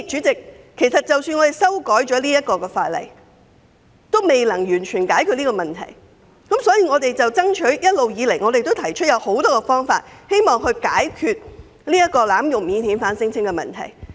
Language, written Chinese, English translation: Cantonese, 即使修改法例，也未能完全解決這問題，因此我們一直以來提出了很多方法，務求解決濫用免遣返聲請的困局。, The problem cannot be completely resolved even if the legislation is amended and so we have been proposing many ways in a bid to solve the difficult situation created by abuse of the screening mechanism for non - refoulement claims